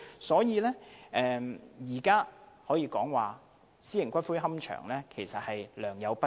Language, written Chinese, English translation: Cantonese, 所以，現時私營龕場可說是良莠不齊。, It is indeed true that the existing private columbaria are of varying standard